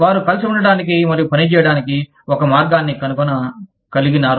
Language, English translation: Telugu, They could find a way, of getting together, and working